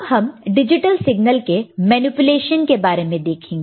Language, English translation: Hindi, Now, we come to the manipulation of digital signals